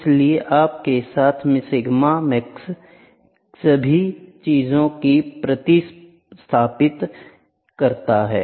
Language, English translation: Hindi, So, sigma max with you substitute all the all the things